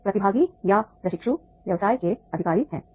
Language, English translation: Hindi, So the participants or trainees are the business executives